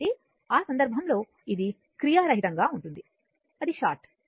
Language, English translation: Telugu, So, in that case this is in active right it is short it is shorted